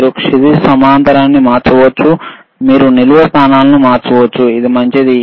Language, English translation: Telugu, So, you can change the horizontal, you can change the vertical positions ok, this nice